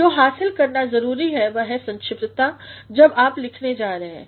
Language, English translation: Hindi, So, what must be achieved is brevity when you are going to write